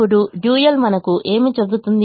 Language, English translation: Telugu, now what does the dual tell me